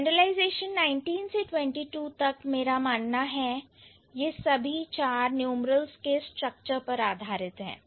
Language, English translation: Hindi, This is the set of, and from 19th to 22nd, I believe, these four they are based on the structure of numerals